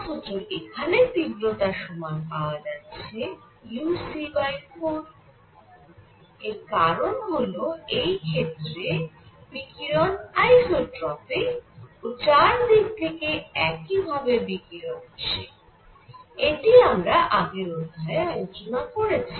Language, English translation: Bengali, In this case, the intensity coming out becomes uc by 4 because the radiation is isotropic its coming from all direction as you saw in the derivation in the previous lecture